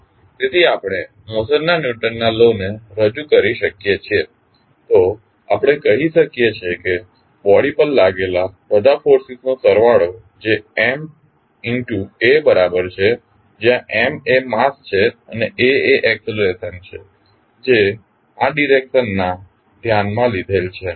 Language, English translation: Gujarati, So, we can represent the Newton’s law of motion as we say that the total sum of forces applied on the body equal to M into a, where M is the mass and a is the acceleration which is in the direction considered